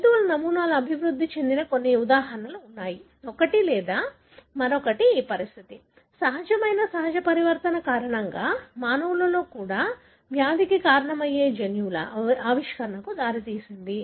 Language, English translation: Telugu, So, there are handful of examples wherein animal models which developed, one or the other this condition, because of spontaneous natural mutation led to the discovery of genes that causes the disease in the human as well